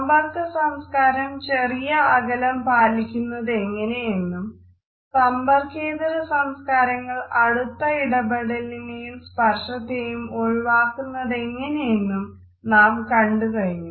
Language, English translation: Malayalam, We have seen how contact cultures use a small interaction distances whereas, non contact cultures avoid these close inter personal distances as well as the frequent touching of each other